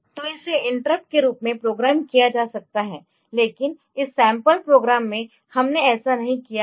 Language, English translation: Hindi, So, it can be programmed as interrupt, but in this sample programme so, we have not done that